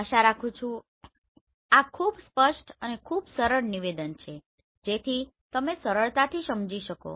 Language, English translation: Gujarati, I hope this is very clear this is very simple statement so you can understand easily